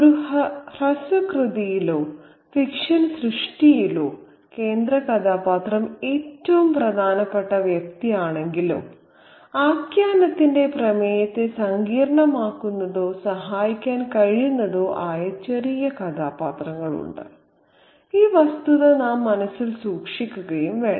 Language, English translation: Malayalam, Now, while the central character is the most important figure in a short work or in any work of fiction, there are minor characters who can complicate or who can help in the resolution of the narrative